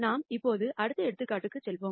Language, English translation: Tamil, We will now move on to the next example